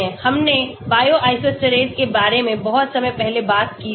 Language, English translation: Hindi, we talked about Bio isosteres long time back